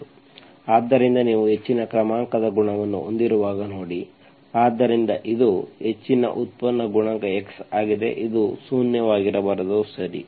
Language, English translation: Kannada, So because, see whenever you have a high order coefficient, so this is higher derivative coefficient is x, this should not be zero, okay